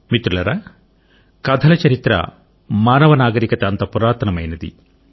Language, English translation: Telugu, Friends, the history of stories is as ancient as the human civilization itself